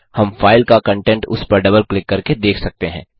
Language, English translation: Hindi, We can see the content of the file by double clicking on it